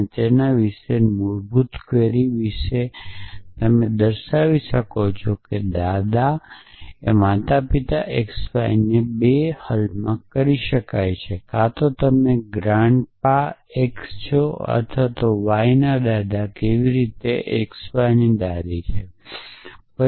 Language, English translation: Gujarati, And that is about to basic query about then you can see that grandparent x y can be solve in 2 is that either you are a grand pa x is the grandfather of y how x is the grandmother of y